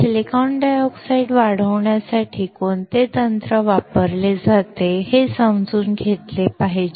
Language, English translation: Marathi, We have to understand what is the technique used to grow silicon dioxide